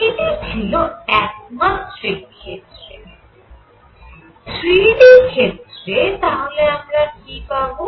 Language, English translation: Bengali, Now, this is in one dimensional case in 3 d, what we are going to have